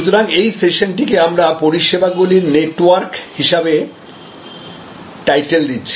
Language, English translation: Bengali, So, this particular session we have titled as Network of Services